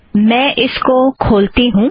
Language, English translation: Hindi, Let me open it here